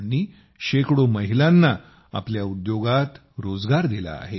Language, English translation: Marathi, He has given employment to hundreds of women here